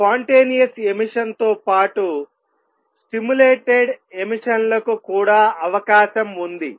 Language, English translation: Telugu, Two along with spontaneous emission there is a possibility of stimulated emission also